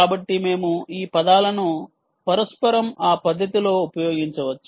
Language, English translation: Telugu, ok, so we can use this words interchangeably in that manner